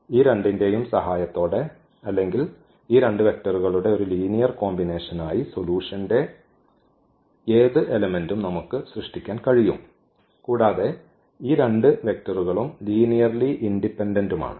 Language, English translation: Malayalam, We can generate any element of this solution set with the help of these two or as a linear combination of these two 2 vectors and these two vectors are linearly independent